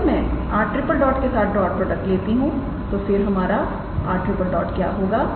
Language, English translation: Hindi, So, if I take the dot product with r triple dot what is our r triple dot